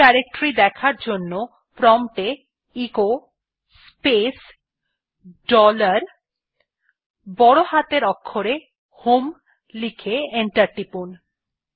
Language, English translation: Bengali, To see the home directory type at the prompt echo space dollar HOME and press enter